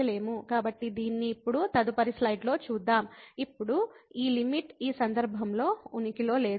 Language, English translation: Telugu, So, we will see in this in the next slide now again that limit in this case does not exist